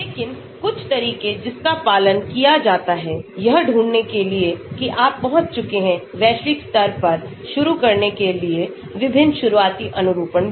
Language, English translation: Hindi, But, some of the approaches that are followed to find out whether you have reached global is to start with various starting conformations